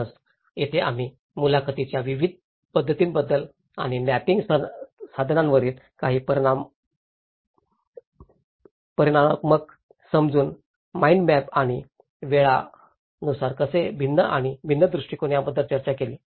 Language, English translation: Marathi, So this is where, we discussed about different methods of interviews and some of the quantitative understanding from the mapping tools, mental maps, and by time wise, how they varied and different approaches